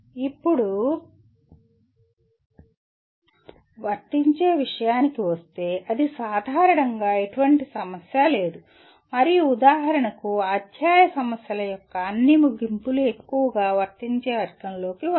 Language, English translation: Telugu, Now as far as apply is concerned, that is fairly commonly there is no complication in that and for example all the end of the chapter problems mostly will come under the category of apply